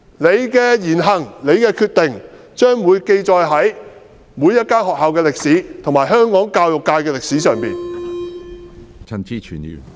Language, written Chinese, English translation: Cantonese, 老師的言行和決定將會記載在每所學校和香港教育界的歷史上。, The words deeds and decisions of teachers will be recorded in the history of every school and in the history of the education sector in Hong Kong